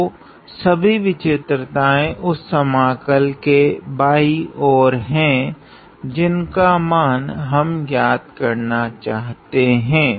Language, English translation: Hindi, So, all my singularities are to the left of the integral that we are trying to evaluate